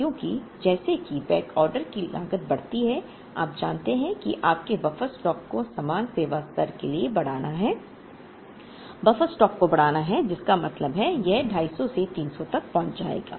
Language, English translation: Hindi, Because as the backorder cost increases, you know that your buffer stock has to increase for the same service level, buffer stock has to increase which means that it will move from 250 to 300